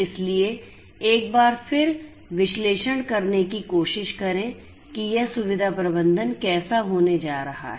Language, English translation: Hindi, So, once again let me draw and try to analyze what this facility management is going to be like